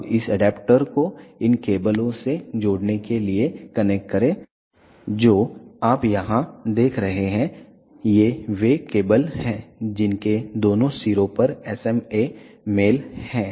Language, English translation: Hindi, Now, connect this adaptor to connect these cables you see here these are the cables which have SMA male on both the ends